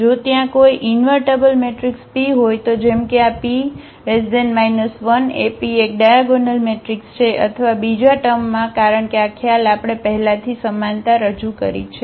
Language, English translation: Gujarati, If there exists an invertible matrix P such that this P inverse AP is a diagonal matrix or in other words, because this concept we have already introduced the similarity of the matrices